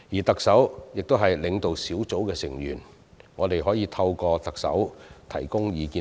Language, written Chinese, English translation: Cantonese, 特首是領導小組的成員，我們可透過特首向小組提供意見。, The Chief Executive is a member of the leading group and we can thus offer our views to the leading group via the Chief Executive